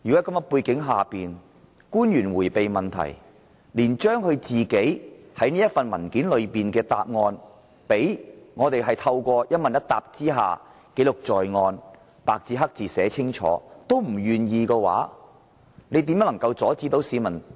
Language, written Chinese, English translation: Cantonese, 當官員迴避問題，連透過與議員一問一答，把政府文件中提供的答案白紙黑字記錄在案也不願意，議員又怎能不提出質詢？, When officials are evading questions and are even unwilling to put on record their answers to Members questions or the information provided in government papers how can Members stop raising questions? . However when pro - democracy Members seriously put questions to government officials they are accused of filibustering